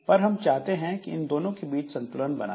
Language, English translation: Hindi, So, we want to make a balance of these two